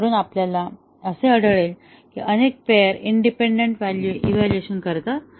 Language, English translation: Marathi, We will find that multiple pairs achieve independent evaluation